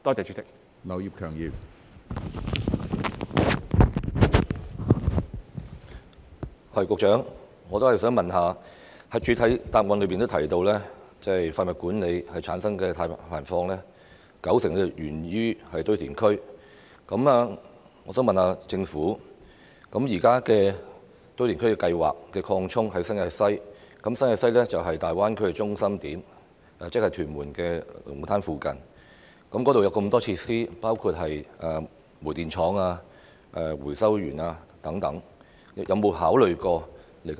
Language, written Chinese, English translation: Cantonese, 主席，我想問局長，他在主體答覆提到，廢物管理產生的碳排放有高達九成源自堆填區，我想問政府，現時正進行新界西堆填區擴展計劃，而新界西是大灣區的中心點，即屯門龍鼓灘附近，該處有很多設施，包括煤電廠、回收園等。, President my question to the Secretary is this In the main reply he mentioned that up to 90 % of the carbon emissions generated from waste management came from landfills and my question is the West New Territories Landfill Extension Scheme is being carried out now and West New Territories is at the centre of the Greater Bay Area that is in the vicinity of Lung Kwu Tan where there are many facilities including coal - fired power station recycling park etc